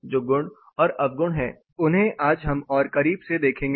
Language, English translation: Hindi, What are the merits and demerits we will look more closer today